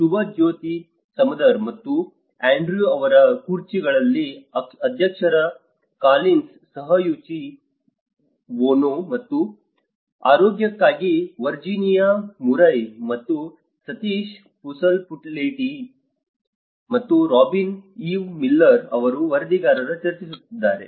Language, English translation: Kannada, On the chairs of Subhajyoti Samadar and Andrew Collins, Co Chairs are Yuichi Ono and for health Virginia Murray and rapporteurs myself from Sateesh Pasupuleti and Robyn Eve Miller